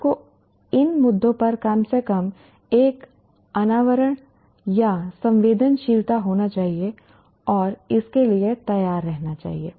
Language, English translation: Hindi, You have to have an exposure or a sensitivity at least to these issues and be prepared for that